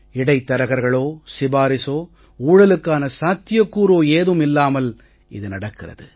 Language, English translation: Tamil, No middlemen nor any recommendation, nor any possibility of corruption